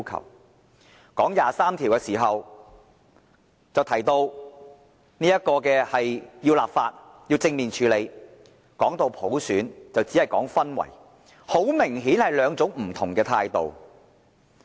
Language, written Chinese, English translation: Cantonese, 談到第二十三條時就提到要立法，要正面處理；談到普選就只說營造氛圍，很明顯是兩種不同的態度。, When talking about Article 23 it vows to formulate legislation and to handle it in a positive manner . Regarding universal suffrage however it seeks only to create an atmosphere . These two attitudes are remarkably different